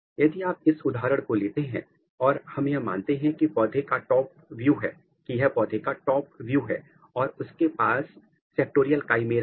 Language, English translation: Hindi, So, if you take this example so, let us assume that this is a kind of top view of a of a plant and it has a kind of sectorial chimeras